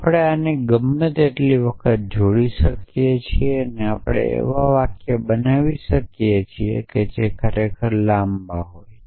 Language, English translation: Gujarati, So, essentially we can combined this any number of time and we can create sentences which are which are really long